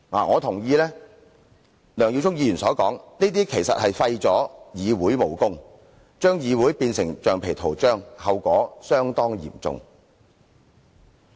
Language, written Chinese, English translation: Cantonese, 我同意梁耀忠議員所說，這做法是廢掉議會的武功，把議會變成橡皮圖章，後果相當嚴重。, I agree with Mr LEUNG Yiu - chung that this is tantamount to stripping the legislature of its functions and turning it into a rubber stamp which will lead to serious consequences